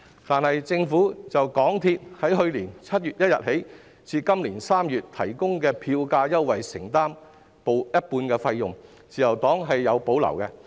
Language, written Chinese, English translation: Cantonese, 但是，政府就港鐵公司自去年7月1日至今年3月提供的票價優惠承擔一半費用，自由黨對此有所保留。, However the Liberal Party has reservations about the Governments undertaking to cover half of cost of the fare concessions offered by MTRCL from 1 July last year to March this year